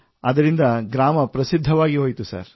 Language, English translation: Kannada, So the village became famous sir